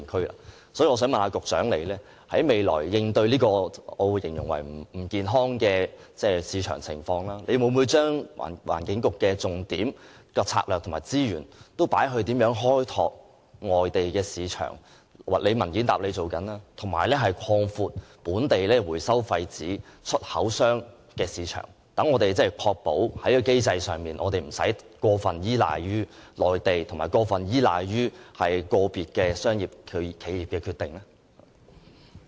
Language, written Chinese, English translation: Cantonese, 因此，我想問局長，面對這種我形容為不健康的市場情況，環境局未來的工作重點、策略和資源會否投放於開拓外地市場——局長已在主體答覆中表示正進行有關工作——以及擴闊本地廢紙回收商的出口市場，確保在機制上無須過分依賴內地和個別企業的商業決定？, May I ask the Secretary in view of this market situation which I would call unhealthy whether the Environment Bureau will focus its priorities strategies and resources on exploring overseas markets―the Secretary already said that relevant work is being carried out―and on expanding the export market for local waste paper recyclers so as to ensure that the mechanism does not overly rely on the Mainland and the commercial decisions of individual enterprises?